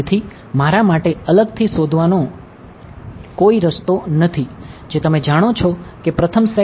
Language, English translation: Gujarati, So, there is no way for me to separately find out just you know first set and second set and third